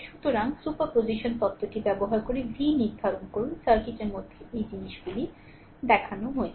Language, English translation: Bengali, So, using superposition theorem determine v, in the circuit shown in figure this things right